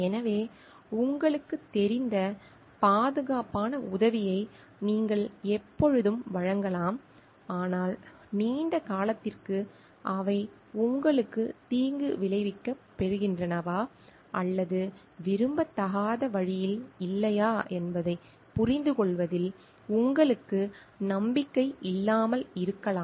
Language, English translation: Tamil, So, you can always extend secure help you know like they will help you, but you may not be confident in understanding whether in the long run they are going to harm you or not in a undesirable way